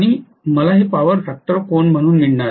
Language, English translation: Marathi, And I am going to have this as the power factor angle